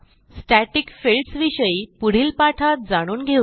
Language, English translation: Marathi, We will learn about static fields in the coming tutorials